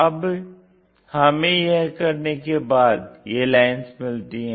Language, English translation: Hindi, When we are doing that, we get these lines